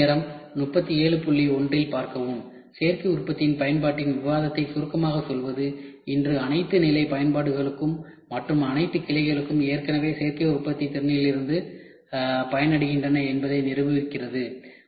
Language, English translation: Tamil, To summarise the discussion of the up application of additive manufacturing proves that today, all levels of application and all branches already benefit from the capability of additive manufacturing